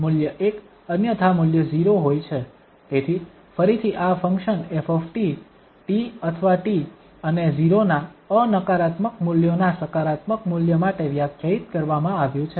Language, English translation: Gujarati, So again this function f t is defined for the positive value of t non negative values of t and 0 otherwise